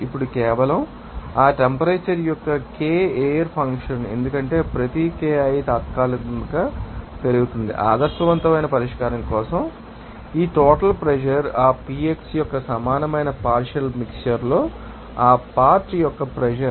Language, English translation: Telugu, Now, this Ki air function of solely that temperature and you know, because each of the Ki increases with a temporary said there for an ideal solution, it can be written as that this total pressure will be equal to what summation of this you know that Pivxi that means, partial pressure of that you know component you know in mixture